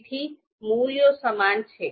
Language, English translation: Gujarati, 36, so the values are same